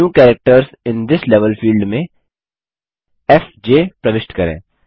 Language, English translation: Hindi, In the New Characters in this Level field, enter fj